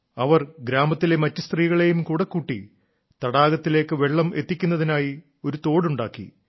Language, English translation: Malayalam, She mobilized other women of the village itself and built a canal to bring water to the lake